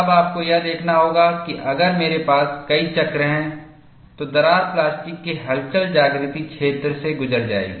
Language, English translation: Hindi, Now, you have to see, if I have multiple cycles, the crack will go through a plastic wake; we will see that also